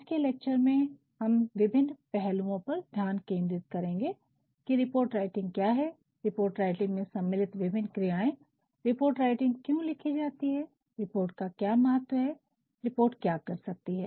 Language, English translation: Hindi, Today's lecture, we will focus on these various aspects as to what report writing is, what are various processes involved in writing it why a report is written, what is the significance of a report and what can a report do